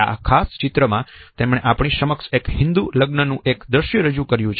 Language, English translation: Gujarati, In this particular painting he has presented before us a scene at a Hindu wedding